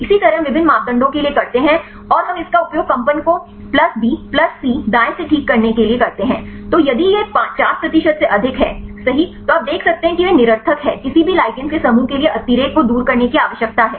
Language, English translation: Hindi, Likewise we do for the different parameters and we use it to remove the vibration right a by a plus b plus c right then if it is more than 50 percent right then you can see they are redundant likewise you need to remove the redundancy for any group of ligands